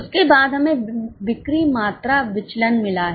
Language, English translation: Hindi, Then we have got sales volume variance